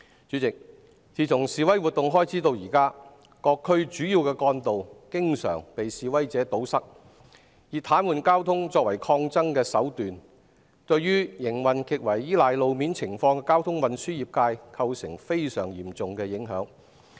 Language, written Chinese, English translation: Cantonese, 主席，自從示威活動開始至今，各區主要幹道經常被示威者堵塞，他們以癱瘓交通作為抗爭手段，對於營運極為依賴路面情況的交通運輸業界構成非常嚴重的影響。, President since the beginning of the demonstrations the main arteries in various districts are often blocked by protesters . They take paralysing the traffic as a means of resistance which has brought very serious impacts on the transportation industry which rely heavily on road conditions